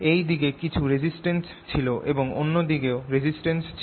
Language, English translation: Bengali, there was some resistance on this side and some other resistance on the other side